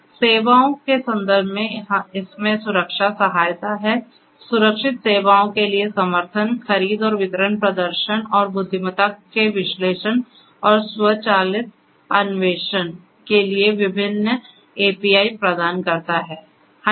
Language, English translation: Hindi, In terms of the features it has security support; support for secured services, procurement and distribution provides various APIs for analysis and automated exploration of performance and intelligence